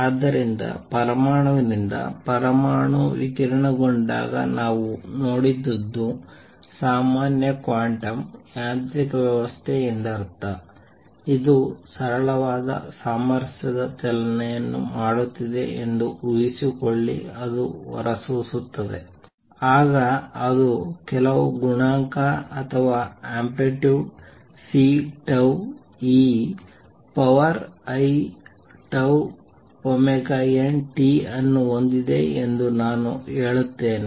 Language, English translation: Kannada, So, far what we have seen when an atom radiates n by atom I mean general quantum mechanical system, it radiates according to suppose is performing simple harmonic motion then I would say that it is has some coefficient or amplitude C tau e raised to i tau omega n t